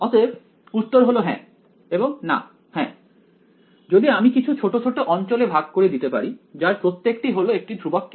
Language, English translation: Bengali, Well answer is yes and no yes, if I can break it up into small sub regions each of which is constant k